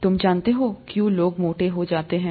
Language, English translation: Hindi, You know, why people become obese